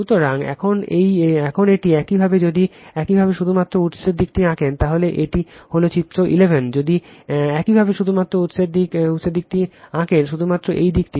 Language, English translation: Bengali, So, now this one you just if you draw only the source side, this is figure 11 if you draw only the source side, this side only right